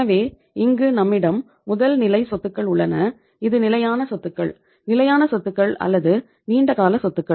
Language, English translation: Tamil, So in this case we have the first level of assets is the this is the fixed assets; fixed assets or long term assets